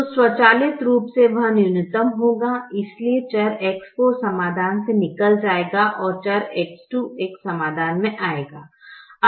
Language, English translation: Hindi, so variable x four will leave the solution and variable x two will come into the solution